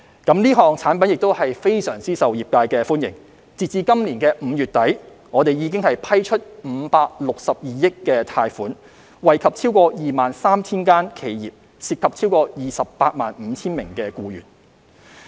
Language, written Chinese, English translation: Cantonese, 這項產品非常受業界歡迎，截至今年5月底，已批出562億元貸款，惠及超過 23,000 間企業，涉及超過 285,000 名僱員。, The product has been well received by the industry and as of the end of May this year 56.2 billion of loans have been approved to benefit over 23 000 enterprises involving over 285 000 employees